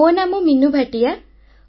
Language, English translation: Odia, My name is Meenu Bhatia